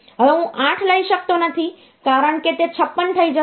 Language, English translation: Gujarati, Now I cannot take 8 because that will make it 56